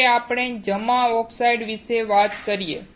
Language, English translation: Gujarati, Now, let us talk about deposited oxides